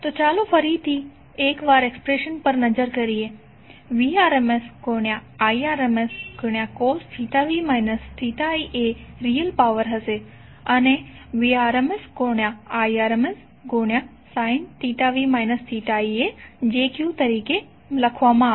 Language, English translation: Gujarati, So let’s look at the expressions once again Vrms Irms cos theta v minus theta i would be the real power and jVrms Irms sine theta v minus theta i will be written as j cube